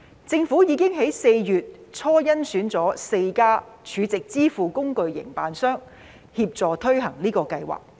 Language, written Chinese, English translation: Cantonese, 政府已於4月初甄選了4家儲值支付工具營辦商協助推行該計劃。, The Government selected four stored value facility SVF operators in early April to assist in implementing the scheme